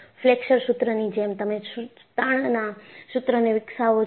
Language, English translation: Gujarati, And, similar to the Flexure formula, you develop the torsion formula